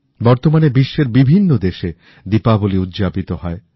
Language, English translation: Bengali, These days Diwali is celebrated across many countries